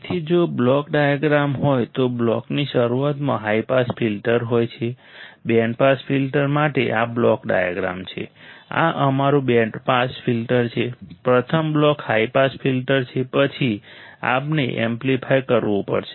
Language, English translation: Gujarati, So, if there is a block diagram it is a high pass filter at the starting of the block, this block diagram for the band pass filter alright this is our band pass filter, the first block is high pass filter, then we have to amplify then low pass filter alright